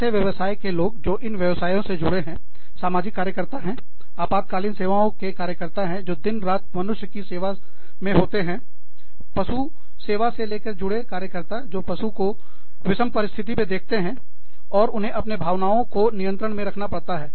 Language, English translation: Hindi, So, i mean, hats off, to these professions, to people in these professions, to social workers, to emergency care workers, who deal with human beings, day in and day out, to animal care workers, who see animals in battered conditions, and who have to keep their, own emotions under control